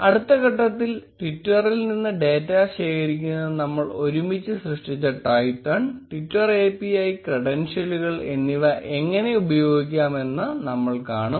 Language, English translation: Malayalam, In the next step, we will see how we can use Twython and the twitter API credentials which we have created together to be able to collect data from twitter